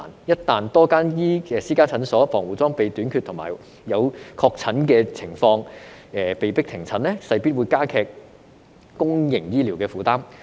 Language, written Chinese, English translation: Cantonese, 一旦多間私家診所防護裝備短缺和有確診的情況而被迫停診，勢必加劇公營醫療的負擔。, Should a shortage of protective equipment occur or visitors be confirmed to be infected many clinics will be forced to close which will definitely increase the burden on public healthcare services